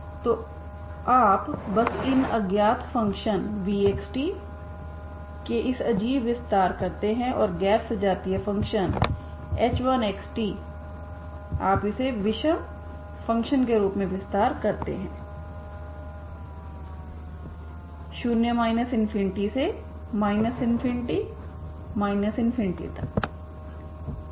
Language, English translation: Hindi, So if you just do this extension odd extension of these functions unknown function v of x, t and the non homogeneous function h1 of x, t you extend as a odd function on the from 0 to infinity to minus infinity infinity, okay